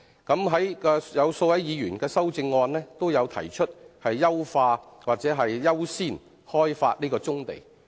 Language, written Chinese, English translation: Cantonese, 數位議員的修正案均提出優化或優先開發棕地。, Several Members have in their amendments suggested enhancing or according priority to the development of brownfield sites